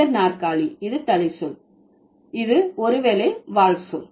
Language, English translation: Tamil, High chair, which is the head word, which is the, which is the, maybe the tail word